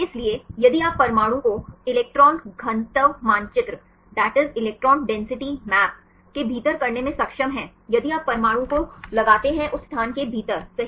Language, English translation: Hindi, So, if you are able to fix the atom within the electron density map, if you fix the atom within that space right